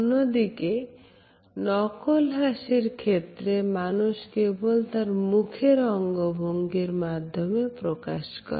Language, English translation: Bengali, In case of genuine smiles, people smile both with their eyes and mouth